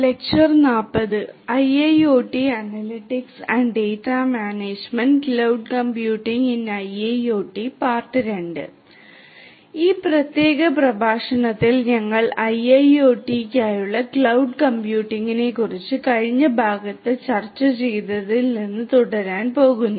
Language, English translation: Malayalam, So, in this particular lecture we are going to continue from what we discussed in the previous part on Cloud Computing for IIoT